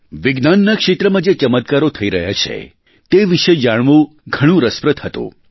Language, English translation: Gujarati, It was interesting to know about the ongoing miraculous accomplishments in the field of Science